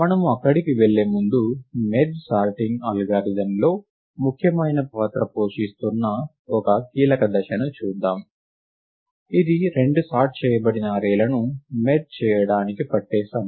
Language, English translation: Telugu, Before we go there, let us look at a key step, right which plays an important role in the merge sort algorithm, which is the time taken to merge two sorted arrays right